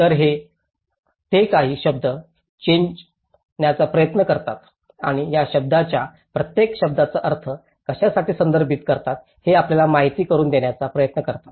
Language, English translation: Marathi, So, they try to alter a few words and they try to present you know, how each of these terminologies refers to what